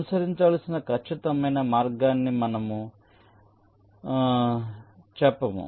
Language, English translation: Telugu, we do not tell you the exact route to follow